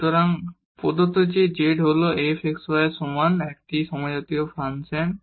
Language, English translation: Bengali, So, given that z is equal to f x y is a homogeneous function